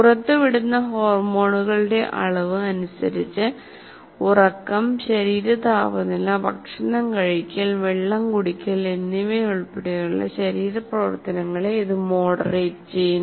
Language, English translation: Malayalam, By the amount of hormones it releases, it moderates the body functions including sleep, body temperature, food intake and liquid intake